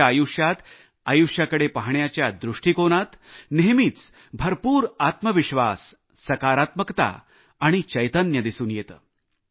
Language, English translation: Marathi, Every moment of his life and attitude towards life exudes immense selfconfidence, positivity and vivacity